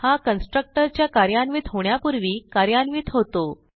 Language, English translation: Marathi, It executes before the constructors execution